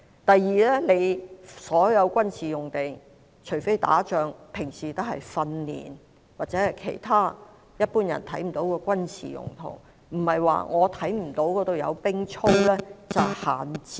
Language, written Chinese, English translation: Cantonese, 第二，所有軍事用地，除非打仗，平日會用作訓練，或者其他一般人看不到的軍事用途，並不是說看不到有士兵操練就等於閒置。, Secondly all the military sites are used on a daily basis except during wartime for training or other military purposes invisible to the general public and just because there is no drilling of soldiers in sight does not mean that the sites are idle